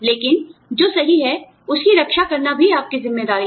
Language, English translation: Hindi, But, it is also your responsibility, to protect, what is right